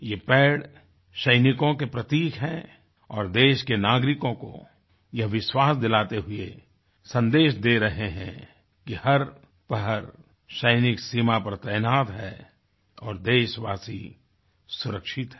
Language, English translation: Hindi, These trees represent soldiers and send a reassuring message to the country's citizens that our soldiers vigilantly guard borders round the clock and that they, the citizens are safe